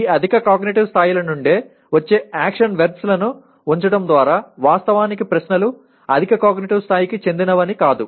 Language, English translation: Telugu, By merely putting action verbs that come from these higher cognitive levels does not mean that actually the questions belong to higher cognitive levels